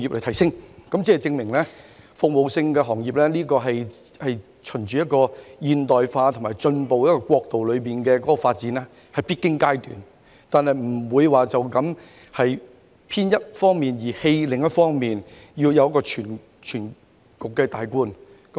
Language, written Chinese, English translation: Cantonese, 由此可以證明，服務業是朝向現代化及進步國度發展中的必經階段，但不能偏向一面而放棄另一方面，要有綜觀全局的概念。, It is thus proven that the development of service industries is a necessary stage in the process of progressing towards a modernized and advanced country but a biased approach should never be adopted and a big - picture outlook is needed